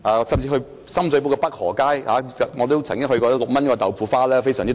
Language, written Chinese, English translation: Cantonese, 在深水埗北河街，我曾經品嘗6元一碗的豆腐花，非常超值。, I once tried a bowl of bean curd pudding for 6 in Pei Ho Street in Sham Shui Po which was a mega - bargain